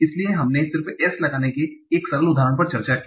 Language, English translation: Hindi, So we just discussed one simple example of applying S